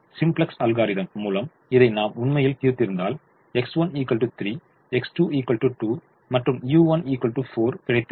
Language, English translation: Tamil, if we had actually solved this by the simplex algorithm, we would have got x one equal to three, x two equal to two and u three equal to four